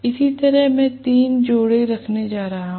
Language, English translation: Hindi, Similarly, I am going to have three pairs right